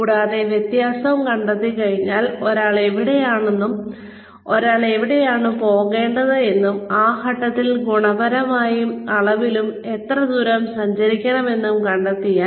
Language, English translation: Malayalam, And, once the difference is found out, once it is found out, , where one is in, where one needs to go, and what is the distance, qualitatively and quantitatively, that needs to be travelled